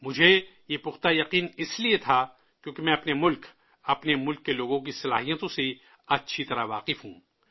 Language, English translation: Urdu, I had this firm faith, since I am well acquainted with the capabilities of my country and her people